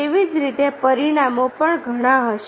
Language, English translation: Gujarati, so, likewise, the consequences will be many